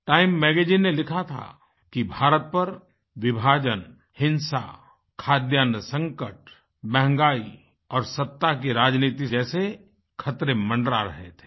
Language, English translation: Hindi, Time Magazine had opined that hovering over India then were the dangers of problems like partition, violence, food scarcity, price rise and powerpolitics